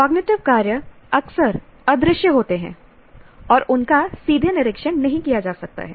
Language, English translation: Hindi, Cognitive work is often invisible and cannot be directly observed